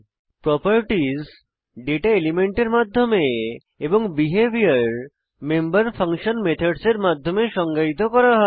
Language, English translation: Bengali, Properties are defined through data elements and Behavior is defined through member functions called methods